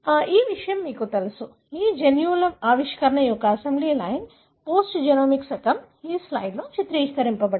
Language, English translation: Telugu, So, that is what, you know this, this assembly line of genes discovery, post genomic era is depicted in this slide